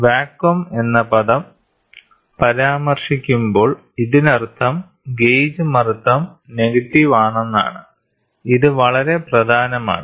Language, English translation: Malayalam, When the term vacuum is mentioned, it means that that the gauge pressure is negative, this is very important